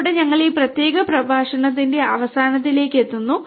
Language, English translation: Malayalam, With this we come to an end of this particular lecture